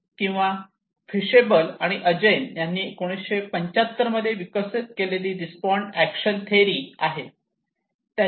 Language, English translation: Marathi, Or theory of reasoned actions developed by Fishbein and Azjen in 1975